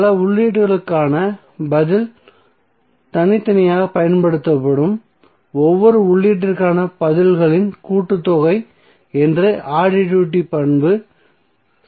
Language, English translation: Tamil, So additivity property will say that the response to a sum of inputs is the sum of responses to each input applied separately